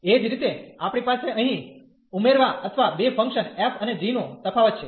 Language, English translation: Gujarati, Similarly, we have the addition here or the difference of the two functions f and g